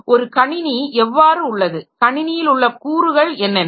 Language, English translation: Tamil, How the computer system is what are the components in the system